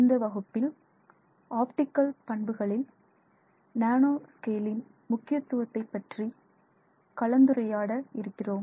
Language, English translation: Tamil, Hello, in this class we are going to continue our discussion on the impact of nanoscale on optical properties